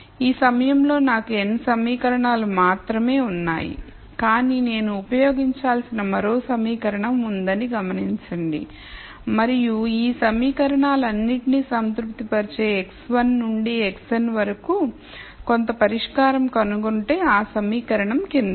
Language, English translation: Telugu, I have only n equations at this point, but notice that I have one more equation that I need to use and that equation is the following if I nd some solution x 1 to x n which satis es all of these equations